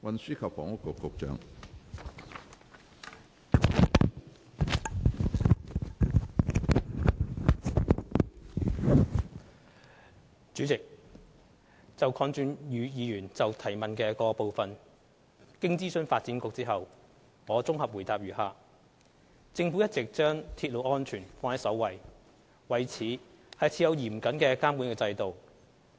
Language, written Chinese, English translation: Cantonese, 主席，就鄺俊宇議員質詢的各部分，經諮詢發展局後，現綜合主體答覆如下：政府一直將鐵路安全放在首位，為此設有嚴謹的監管制度。, President regarding the various parts of the question by Mr KWONG Chun - yu the following is my consolidated reply in consultation with the Development Bureau . The Government has always accorded top priority to railway safety and has put in place a stringent regulatory system